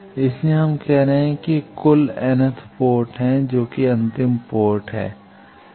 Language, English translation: Hindi, So, we are calling that it has total capital n number of ports this is the last port